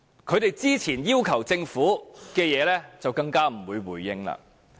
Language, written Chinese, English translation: Cantonese, 他們之前要求政府的事情，政府更不會回應。, Neither will the Government respond to the requests made by them previously